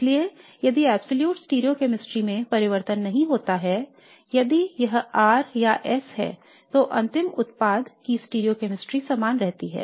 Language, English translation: Hindi, So if the absolute stereochemistry doesn't change then if this is R or S then the stereochemistry of the final product remains the same